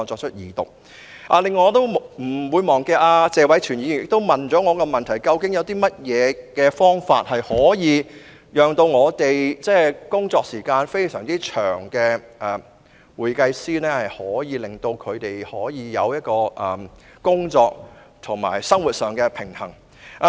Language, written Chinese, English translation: Cantonese, 此外，我亦沒有忘記謝偉銓議員向我提出了一個問題，就是有何方法可以讓工作時間非常長的會計師，享有工作及生活上的平衡。, Besides I have not forgotten that Mr Tony TSE has put a question to me on what can be done to enable accountants who work very long hours to enjoy work - life balance